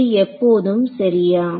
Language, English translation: Tamil, So, is this always correct